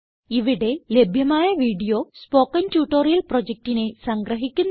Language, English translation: Malayalam, The video available at the following link summarises the Spoken Tutorial project